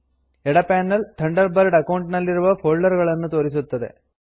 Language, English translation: Kannada, The left panel displays the folders in your Thunderbird account